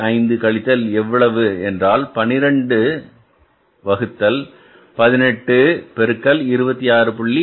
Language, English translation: Tamil, 5 and minus how much it is going to be 12 by 18 into 26